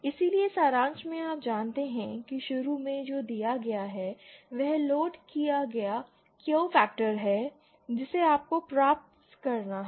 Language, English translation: Hindi, So in summary you know what is initially given is the loaded Q factor that you have to achieve